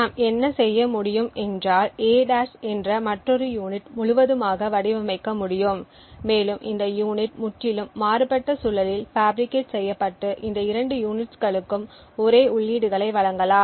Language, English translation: Tamil, What we could do is we could design completely independently another unit, A’ and possibly just fabricated this unit in a totally different environment and feed the same inputs to both this units